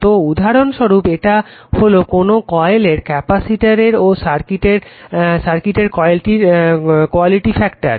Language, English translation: Bengali, So, the quality factor of coils capacitors and circuit is defined by